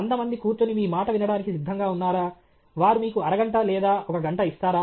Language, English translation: Telugu, Are hundred people ready to sit down and listen to you; will they give that half an hour or one hour to you